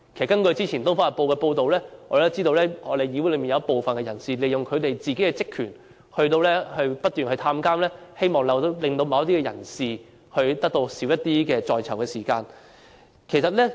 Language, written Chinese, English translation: Cantonese, 根據早前《東方日報》報道，我們知道議會內有部分人士利用職權，不斷到監獄探訪，希望令某些人士可以減少在囚時間。, As reported by Oriental Daily News earlier some Members had made use of their powers to make frequent visits to prisons hoping that certain persons could spend less time in jail